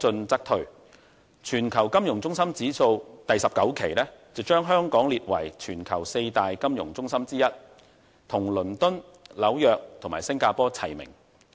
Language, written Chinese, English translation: Cantonese, 第19期《全球金融中心指數》把香港列為全球四大金融中心之一，與倫敦、紐約和新加坡齊名。, The Global Financial Centres Index 19 rates Hong Kong as one the four global financial centres among the ranks of London New York and Singapore